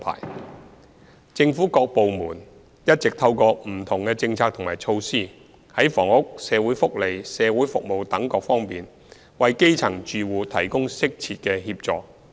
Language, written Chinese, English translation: Cantonese, 三政府各部門一直透過不同政策和措施，在房屋、社會福利及社區服務等各方面，為基層住戶提供適切協助。, 3 Different government departments have all along been providing appropriate assistance to grass - roots households from different perspectives including housing social welfare community support etc . through different policies and measures